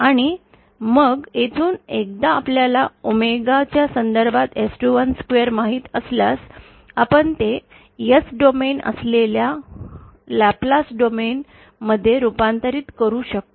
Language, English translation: Marathi, And then from here, once we know S212 in terms of omega, we can convert it into Laplace domain that is S domain